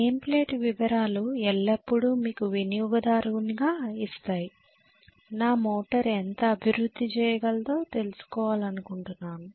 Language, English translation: Telugu, The name plate detail always gives you especially as a consumer I would like to know how much my motor can deliver